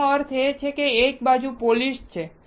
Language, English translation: Gujarati, That means, one side is polished